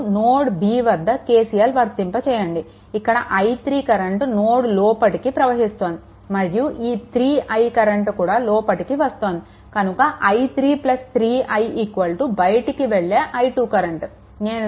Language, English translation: Telugu, Now, you apply KCL at this thing, then this current actually entering this i 3, right and this 3 I current also coming here this 2 are entering plus 3 I is equal to your what you call i 2, right